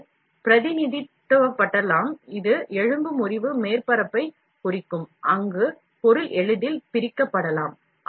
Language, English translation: Tamil, This can be represent, this can represent a fracture surface, where the material can be easily separated